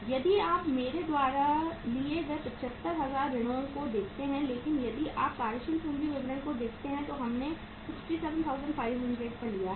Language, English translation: Hindi, If you look at the sundry debtors I have taken here at 75,000 but if you look at the working capital statement there we have taken it at that 67,500